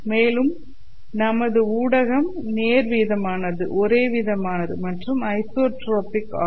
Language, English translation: Tamil, We will also assume that the medium is linear, homogeneous and isotropic